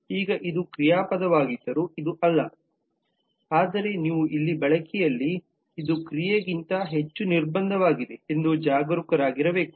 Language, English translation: Kannada, now this is not this is though this is a verb, but you will have to be careful that in the usage here this is more a constraint then an action